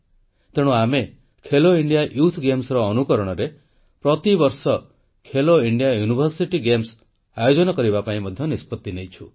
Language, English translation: Odia, Therefore, we have decided to organize 'Khelo India University Games' every year on the pattern of 'Khelo India Youth Games'